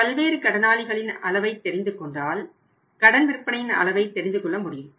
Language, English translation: Tamil, And if you know the extent of sundry debtors you will be knowing the extent of credit profits which we have not received yet